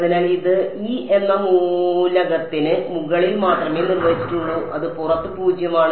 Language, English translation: Malayalam, So, this is defined only over element e and it is zero outside